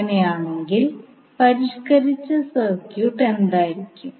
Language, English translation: Malayalam, So in that case what will be the modified circuit